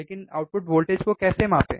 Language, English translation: Hindi, So, what is input voltage